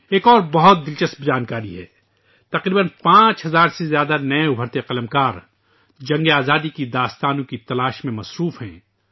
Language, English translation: Urdu, There is another interesting information more than nearly 5000 upcoming writers are searching out tales of struggle for freedom